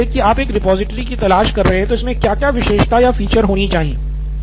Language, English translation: Hindi, Say, suppose you are looking for a repository, what all features should it absolutely have